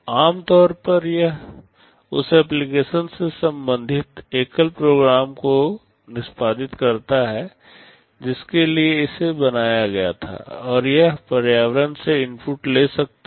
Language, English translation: Hindi, It typically it executes a single program related to the application for which it was built, and it can take inputs from the environment